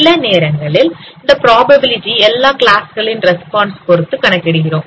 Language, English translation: Tamil, Sometimes this probability is computed with respect to the responses of all other classes